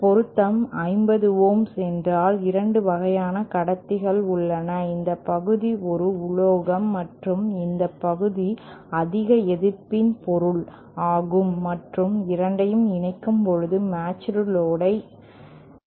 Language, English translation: Tamil, Say, if matching required is 50 ohms, then there are 2 kinds of conductors, this part is just a metal and this part is a material of higher resistivity and when both can combine, there will be a matched load